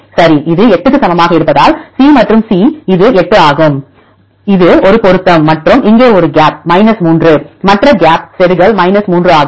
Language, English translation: Tamil, Right this equal to 8 because C and C this is 8; this is a match and here there is a gap is 3 and the other gap is insertion 3